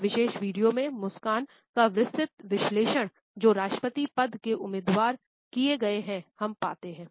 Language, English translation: Hindi, In this particular video, we find that a detailed analysis of smiles of certain us presidential candidates has been done